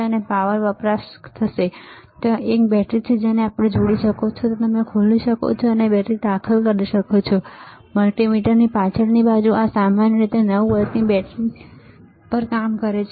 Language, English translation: Gujarati, It will consume the power there is a battery here you can connect, you can open it and you can insert the battery, and the back side of the multimeter this operates on the generally 9 volt battery